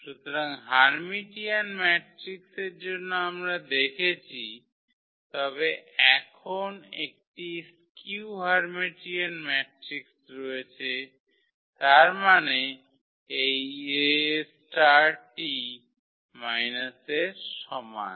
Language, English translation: Bengali, So, for Hermitian matrices we have seen, but now there is a skew Hermitian matrix; that means, this A star is equal to minus A